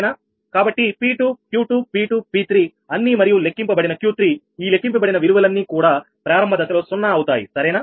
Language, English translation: Telugu, so all p two, q q two, p two, p three and q three calculated, in this calculated values initially, all are zeros, right